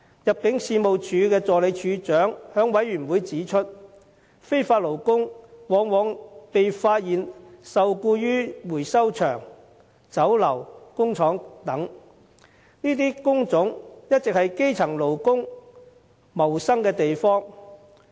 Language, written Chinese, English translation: Cantonese, 入境處助理處長在事務委員會會議上指出，非法勞工往往被發現受僱於回收場、酒樓、工廠等，這些工種一直是基層勞工謀生的地方。, At the Panel meeting an Assistant Director of ImmD pointed out that illegal workers were often found to be employed at waste recovery sites Chinese restaurants and factories . These are the places where grass - roots workers make a living